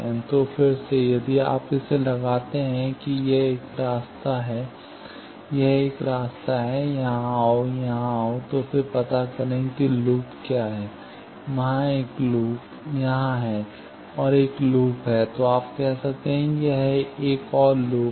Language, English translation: Hindi, So, there are, again, if you put that, that one path is this; another path is, go here, come here; so, then find out, what is the loop; there are, one loop is here; another loop is, you can say that, this is another loop